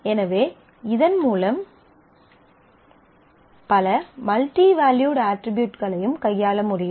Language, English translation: Tamil, So, with that we can handle multiple multivalued attributes also